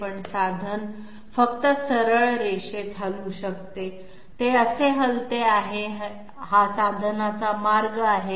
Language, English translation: Marathi, But as the tool can only move in straight line, it is moving like this, this is the path of the tool